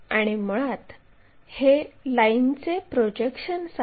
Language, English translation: Marathi, And this is basically projection of lines